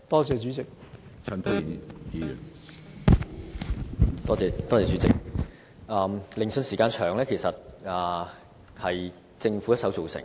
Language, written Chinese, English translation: Cantonese, 主席，研訊時間過長其實是政府一手造成的。, President the unduly long time required for inquiry was in fact a problem of the Governments own making